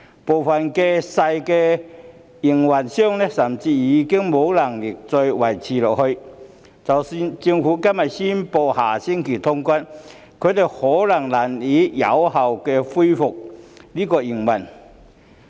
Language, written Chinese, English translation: Cantonese, 部分小營辦商甚至已無力再維持下去，即使政府今天宣布下星期通關，他們或許也難以有效恢復營運。, Some small operators are unable hang on any longer . Even if the Government announces today that cross - boundary travel will be resumed next week they may not be able to resume their operations effectively